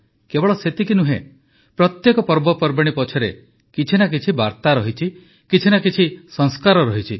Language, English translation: Odia, Not only this, there is an underlying message in every festival; there is a Sanskar as well